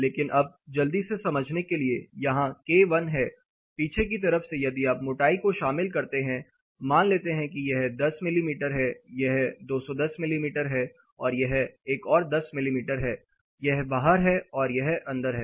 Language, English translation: Hindi, But, now to quickly understand there is k 1 which on the reverse if you include the thickness say now it is 10 mm, this is 210 mm and this is another 10 mm, this is out this is in